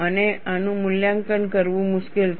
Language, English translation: Gujarati, And this is difficult to evaluate